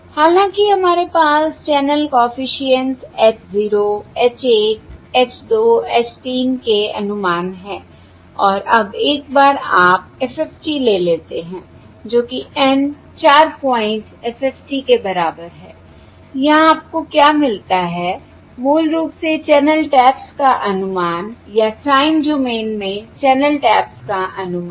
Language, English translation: Hindi, However, what we have are the estimates of the channel coefficients: H 0, H 1, H 2, H 3, and now, once you take the FFT, that is, N equal to 4 point FFT what you get here are basically estimates of the channel taps, or estimates of channel taps in time domain